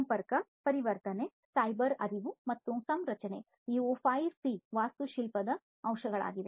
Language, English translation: Kannada, Connectivity, conversion, cyber cognition, and configuration, these are the 5C architectural aspects